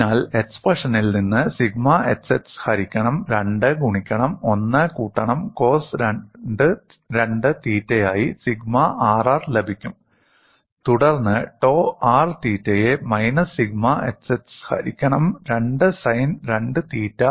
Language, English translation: Malayalam, So from the expression, we would be getting sigma RR, as sigma xx divided by 2 into 1 plus cos 2 theta, and then tau r theta as minus sigma xx by 2 sin 2 theta